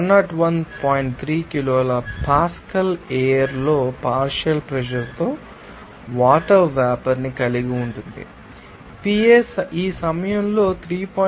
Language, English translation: Telugu, 3 kilo Pascal the air contains water vapor with a partial pressure Pa is equal to 3